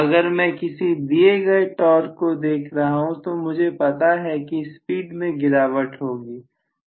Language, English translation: Hindi, If I am looking at a given torque I will have you know drop in the speed